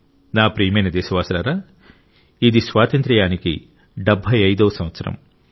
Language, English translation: Telugu, This is the time of the 75th year of our Independence